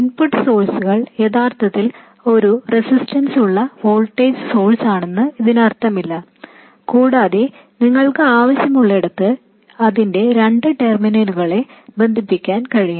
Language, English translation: Malayalam, It doesn't mean that the input source is actually a voltage source with a resistance and you can connect its two terminals anywhere you want